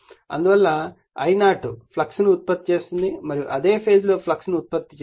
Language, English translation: Telugu, Therefore, I0 produces the flux and in the phase with the flux